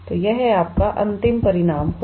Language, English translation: Hindi, So, that will be your final result